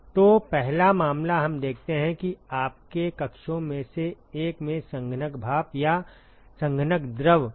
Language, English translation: Hindi, So, the first case we look at where you have condensing steam or condensing fluid in one of the chambers